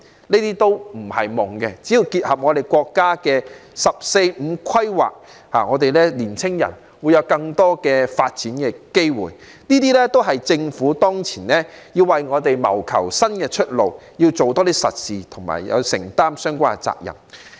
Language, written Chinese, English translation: Cantonese, 這些都不是"夢"，只要結合國家的《十四五規劃綱要》，年青人便會有更多發展機會，這些都是政府當前要為我們謀求的新出路，做多一些實事及承擔相關責任。, All these will no longer be dreams . As long as Hong Kong follows the line of the countrys 14th Five - Year Plan our young people will have more development opportunities . This is how the Government should find new ways out do real work and take up its role